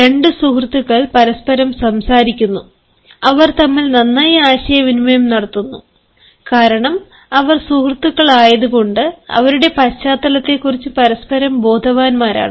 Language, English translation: Malayalam, two friends talking to each other, they communicate well, they go well, they are friends because they are aware of each others background